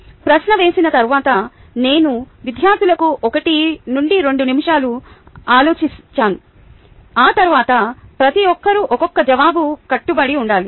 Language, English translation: Telugu, after posing the question, i give the students one to two minutes to think, after which each must commit to an individual answer